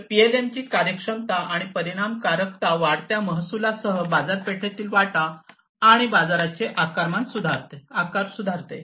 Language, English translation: Marathi, So, this efficiency and effectiveness of PLM improves the market share and market size, with increasing revenue